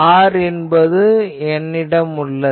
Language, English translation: Tamil, So, r, I have this